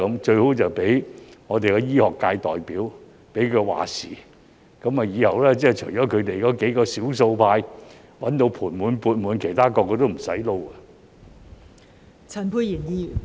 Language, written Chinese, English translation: Cantonese, 最好是讓醫學界代表"話事"，以後除了他們幾名少數派賺得盤滿缽滿之外，其他人人也不用做了。, It is best to let the representatives from the medical sector call the shots . Then in the future only a few of them in the minority can make a fortune while other people will have nothing to do